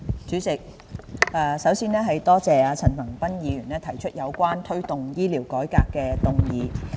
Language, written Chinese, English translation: Cantonese, 主席，首先，多謝陳恒鑌議員提出有關"推動醫療改革"的議案。, President I would first of all like to thank Mr CHAN Han - pan for moving this motion on Promoting healthcare reform